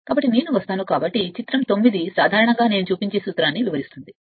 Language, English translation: Telugu, So, figure I will come, so figure 9 in general illustrates the principle next I will show